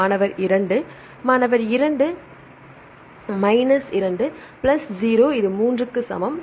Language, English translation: Tamil, So, 4 minus 3 that is equal to plus 0 that is equal to 1